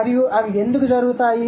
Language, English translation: Telugu, So, how does that happen